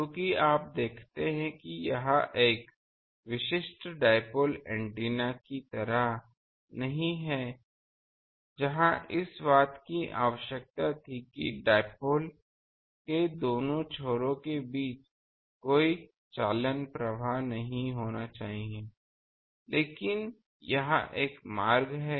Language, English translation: Hindi, Because you see it is not like a typical dipole antenna that there was that requirement that there should not be any conduction current path between the two extremes of the dipoles ends but here, there is a path